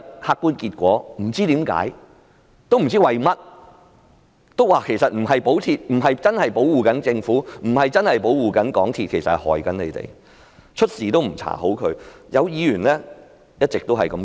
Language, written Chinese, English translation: Cantonese, 客觀結果是，他們其實不是在保護政府，也不是保護港鐵，而是害了市民，因為明明有問題也不作出調查。, The objective outcome is that they are not shielding the Government nor are they shielding MTRCL but they are doing a disservice to the public in rejecting an investigation when it cannot be clearer that problems do exist